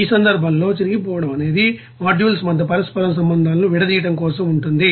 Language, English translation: Telugu, In that case tearing will be involves for the decoupling the interconnections between the modules